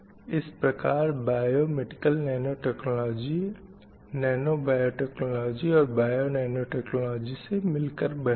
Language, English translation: Hindi, So the biomedical nanotechnology is a combination of nano technology as well as biananautology